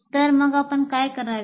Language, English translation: Marathi, So what should we do